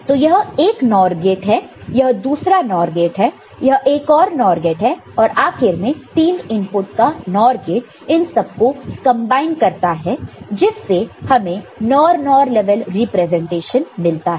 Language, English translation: Hindi, So, this is one NOR gate; this is another NOR gate; this is another NOR gate, finally, a three input NOR gate combines all of them and you get a NOR NOR level representation